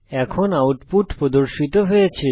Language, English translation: Bengali, The output is as shown